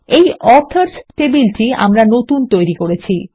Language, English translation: Bengali, There is the new Authors table we just created